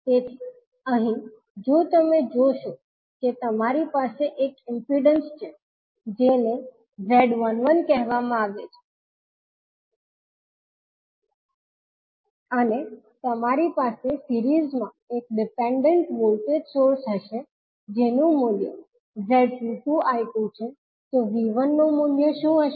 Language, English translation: Gujarati, So, here, if you see you have one impedance that is called Z11 and in series with you will have one dependent voltage source that is having the value of Z12 I2, so what would be the value of V1